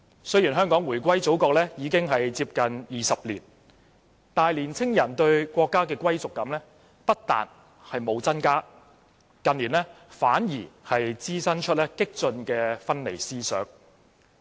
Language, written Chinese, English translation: Cantonese, 雖然香港回歸祖國接近20年，但青年人對國家的歸屬感不但沒有增加，近年反而滋生出激進的分離思想。, Although Hong Kong has returned to the Motherland for almost 20 years young people do not have a stronger sense of belonging to the country; on the contrary radical separatist thinking has been breeding in recent years